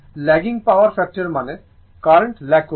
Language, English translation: Bengali, Whenever is a lagging power factor means, the current is lagging right